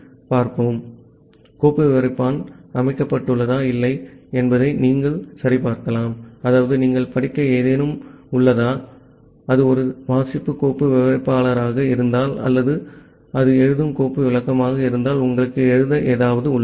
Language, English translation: Tamil, So, you can check whether a file descriptor has been set or not if the file descriptor has sat set; that means, you have something to read, if it is a read file descriptor or you have something to write if it is a write file descriptor